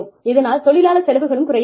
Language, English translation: Tamil, So, the labor costs may go down